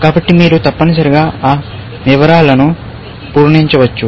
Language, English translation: Telugu, So, you can fill up those details, essentially